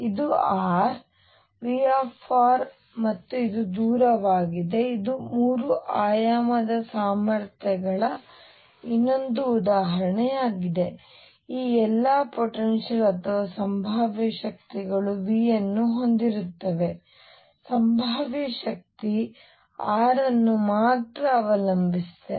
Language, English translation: Kannada, This is r, V r and this is a distance a this is another example of a 3 dimensional potentials all these potentials or potential energies have V the potential energy that depends only on r